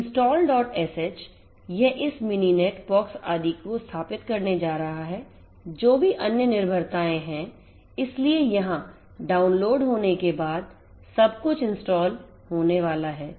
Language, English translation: Hindi, sh right so, this is going to install this mininet, pox etcetera etcetera whatever the other dependencies are there so, everything is going to be installed after the downloading over here